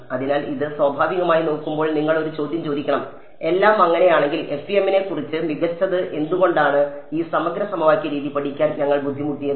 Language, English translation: Malayalam, So, I mean looking at this naturally you should ask a question if everything is so, great about FEM, why did we bother studying this integral equation method at all